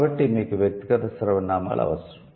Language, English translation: Telugu, So, that's the reason why you need personal pronouns